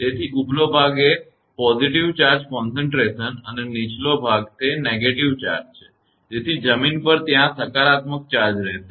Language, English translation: Gujarati, So, upper portion is the positive charge concentration and lower is the negative charge so on the ground, there will be a positive charge